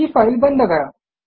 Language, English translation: Marathi, Now close this file